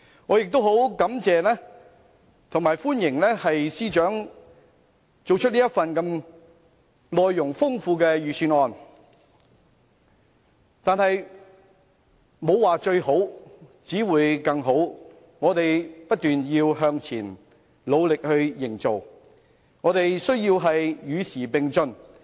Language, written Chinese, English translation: Cantonese, 我亦很感謝和歡迎司長編寫這份內容豐富的預算案，但是，"沒有最好，只有更好"，我們要不斷向前，努力建設，與時並進。, I also thank and appreciate the Financial Secretary for preparing a content - rich Budget . However there is always room for further improvement . We must make continuous effort to move forward and work hard to keep abreast of the times